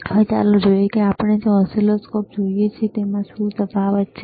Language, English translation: Gujarati, Now let us see that what how the what is the difference between the oscilloscope that we see here